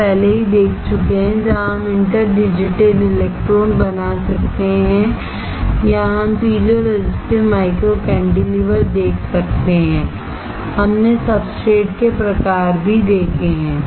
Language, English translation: Hindi, We have already seen, where we can make inter digitated electrodes or we can see piezo resistive micro cantilevers, we have also seen types of substrate